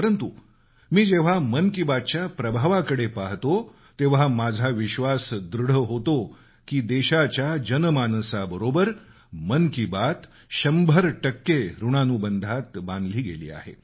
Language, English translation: Marathi, But whenever I look at the overall outcome of 'Mann Ki Baat', it reinforces my belief, that it is intrinsically, inseparably woven into the warp & weft of our common citizens' lives, cent per cent